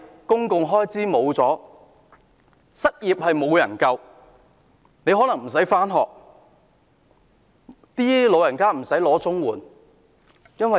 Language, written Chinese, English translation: Cantonese, 公共開支沒有了，失業人士得不到救助，學生不能上學，老人家拿不到綜援。, If there is no public expenditure unemployed persons cannot get assistance students cannot go to school and elderly persons cannot get CSSA